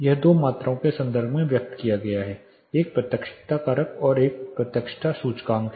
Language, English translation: Hindi, This is expressed in terms of two quantities; one is directivity factor and directivity index